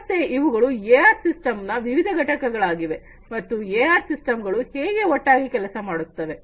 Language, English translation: Kannada, So, these are some of the different components of AR and how together the AR systems work ok